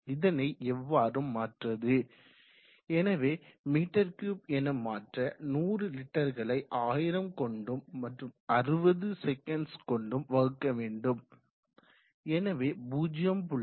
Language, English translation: Tamil, Now if you want to convert it into m3/sec, so you have 100 leaders by 1000 to convert it into m3/ s so you have 100 liters by 1000 to convert it into m3 /60 s so in our 0